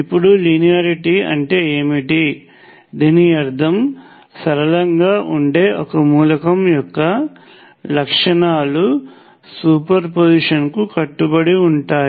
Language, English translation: Telugu, Now what does linearity means this basically means that its characteristics, characteristics of an element which is linear obey superposition